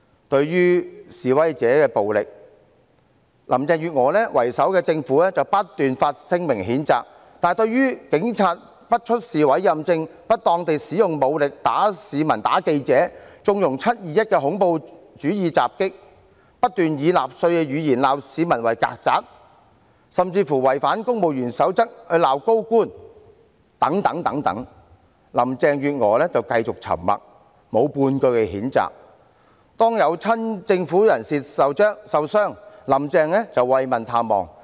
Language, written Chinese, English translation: Cantonese, 對於示威者的暴力，以林鄭月娥為首的政府不斷發聲明譴責，但對於警員不出示委任證、不當地使用武力毆打市民和記者、縱容"七二一"的恐怖主義襲擊、不斷以納粹言語責罵市民為"曱甴"，甚至違反《公務員守則》責罵高官等，林鄭月娥就繼續沉默，沒有半句譴責。每當有親政府人士受傷，"林鄭"便慰問探望。, The Government led by Carrie LAM constantly condemned violence of the protesters yet she remained silent about the Polices refusal to display their warrant cards assaults on the public and reporters with inappropriate force conniving at the terrorist attack on 21 July calling members of the public cockroaches with a Nazi tongue and even criticizing senior public officers in violation of the Civil Service Code